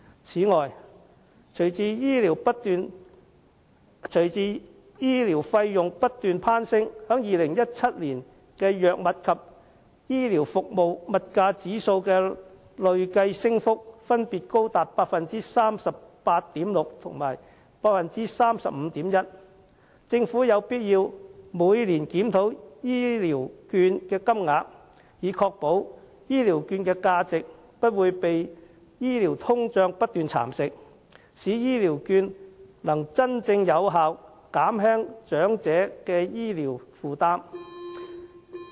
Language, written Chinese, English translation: Cantonese, 此外，隨着醫療費用不斷攀升 ，2017 年藥物及醫療服務物價指數的累計升幅分別高達 38.6% 及 35.1%， 政府有必要每年檢討醫療券的金額，以確保其價值不會被醫療通脹不斷蠶食，可以真正有效減輕長者的醫療負擔。, In addition as health care costs continue to climb the consumer price index for proprietary medicines and supplies and medical services has risen 38.6 % and 35.1 % respectively in 2017 . The Government should conduct yearly reviews on the amount of Elderly Health Care Vouchers it gives away so as to protect their value against continued health care inflation and ensure their effectiveness in relieving the health care burden of elderly people